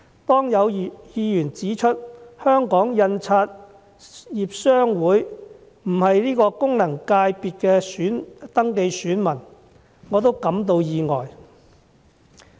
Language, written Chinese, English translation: Cantonese, 當有議員指出香港印刷業商會不是該功能界別的登記選民，我亦感到意外。, I was surprised when a Member pointed out that the Hong Kong Printers Association is not a register elector of this FC